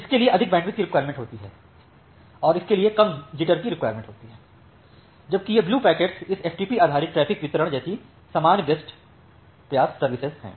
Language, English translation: Hindi, It requires more bandwidth and requires a less jitter whereas, this blue packets are normal best effort services like this FTP based traffic delivery